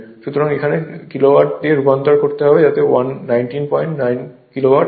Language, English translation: Bengali, So, I have to converted in to kilo watt right, so that is 19